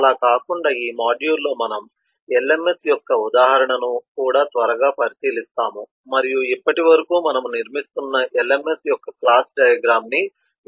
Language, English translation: Telugu, besides that, in this module we will also quickly take a look into our running example of lms and try to improve on the class diagram of the lms that we have been constructing so far